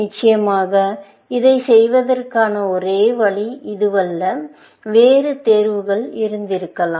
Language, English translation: Tamil, Of course, this is not the only way of doing this, essentially, and there could have been other choices